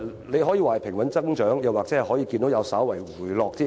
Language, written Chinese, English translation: Cantonese, 你可以說私家車增長平穩，數字甚至已稍為回落。, You may describe this as a steady growth or even a slowdown in the growth rate